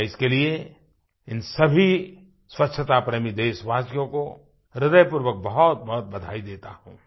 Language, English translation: Hindi, I heartily congratulate all these cleanlinessloving countrymen for their efforts